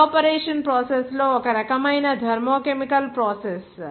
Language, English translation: Telugu, Evaporation processes this all so one type of thermo chemical process